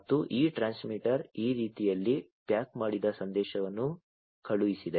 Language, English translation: Kannada, And this is this transmitter had sent the message packaged in this manner